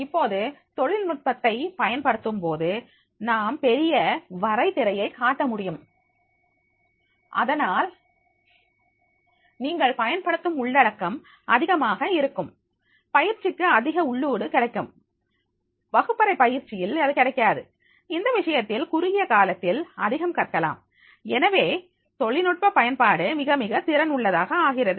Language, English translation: Tamil, Now when we are using the technology so you can cover the large canvas and therefore in that case you will find that is the contents which we are using that will be more the training will get the more input which he may not get to the classroom training and therefore in that case in the short period of time more learning and therefore the use of technology that is becoming more and more efficient simultaneously that is a person is not very clear